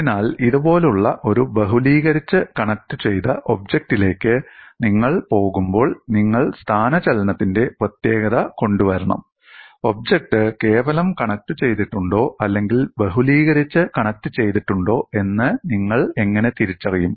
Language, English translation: Malayalam, So, when you go to a multiply connected object like this, you have to bring in uniqueness of displacement and how do you identify, whether the object is simply connected or multiply connected